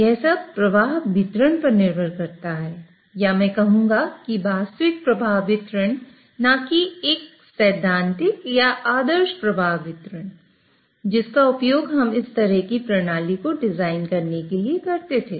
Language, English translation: Hindi, So, it all depends on flow distribution or I would say actual flow distribution, not a theoretical or ideal flow distribution which we use to design this kind of a system